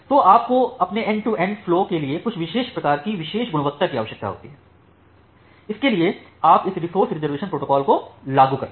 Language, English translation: Hindi, So, you require certain kind of special quality of service for your end to end flow, for that you apply this resource reservation protocol